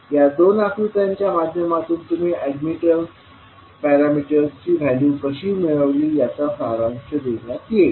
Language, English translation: Marathi, So, these two figures will summarize, how you will find out the values of the admittance parameters